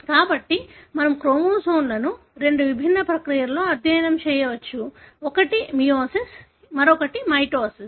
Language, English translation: Telugu, So, we can study the chromosomes in two different processes; one is meiosis, other one is mitosis